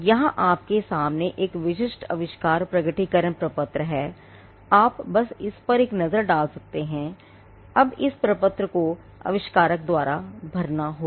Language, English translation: Hindi, Now, here in front of you there is a typical invention disclosure form, you can just have a look at this now this form has to be filled by the inventor